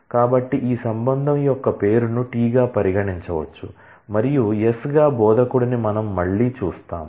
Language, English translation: Telugu, So, the name of this relation can be treated as T and we again see that as instructor as S